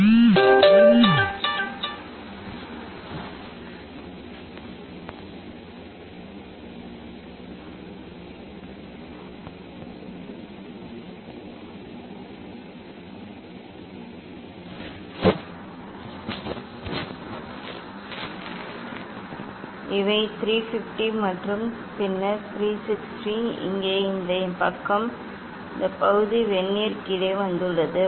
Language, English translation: Tamil, 1 2 3 up to this these are 350 and then 360; here this side this part has come below the Vernier